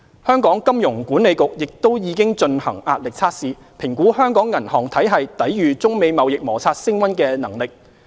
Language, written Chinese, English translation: Cantonese, 香港金融管理局亦已進行壓力測試，評估香港銀行體系抵禦中美貿易摩擦升溫的能力。, The Hong Kong Monetary Authority HKMA has conducted a series of stress tests to assess the ability of the Hong Kong banking sector to withstand the impact of the rising trade tensions between the United States and China